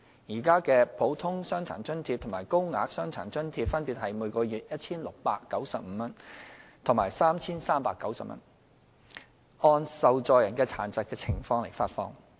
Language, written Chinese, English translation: Cantonese, 現時的"普通傷殘津貼"及"高額傷殘津貼"分別為每月 1,695 元及 3,390 元，按受助人的殘疾情況發放。, The Normal DA and Higher DA are currently at 1,695 and 3,390 per month respectively and are disbursed based on the recipients disabling conditions